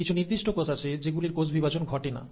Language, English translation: Bengali, So, there are certain cells which will not undergo cell cycle